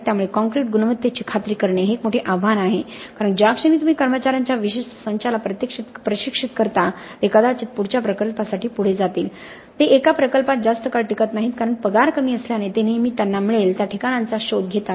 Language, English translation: Marathi, So ensuring concrete quality is a big challenge because the moment you train a certain set of personnel they probably moved on to the next project, they do not stay too long in one project obviously because the pay is low they always seek locations where they can get paid more and more, okay